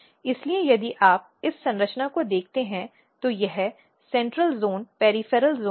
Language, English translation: Hindi, So, if you look this structure this is central zone peripheral zone